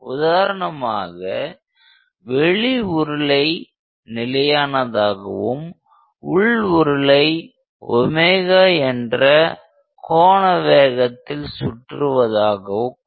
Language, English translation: Tamil, So, let us take an example where the outer cylinder is stationary outer one is stationary, and the inner one is rotating with a particular angular speed omega